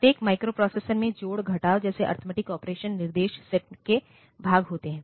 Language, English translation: Hindi, So, every microprocessor has arithmetic operations such as add, subtract as part of it is instruction set